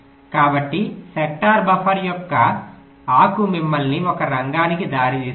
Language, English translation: Telugu, so the leaf of the sector buffer will lead you to one of the sectors and each of the sector